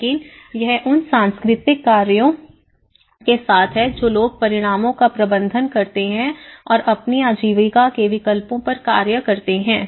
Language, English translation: Hindi, But it is with the cultural factors which people manage the results and make their livelihood choices to act upon